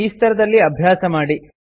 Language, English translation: Kannada, Practice with this level